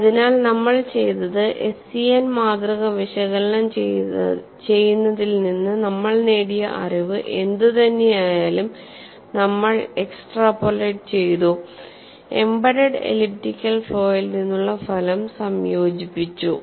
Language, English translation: Malayalam, So, what we have done is, whatever the knowledge that we have gained in analyzing SEN specimen, we have extrapolated, combined the result from an embedded elliptical flaw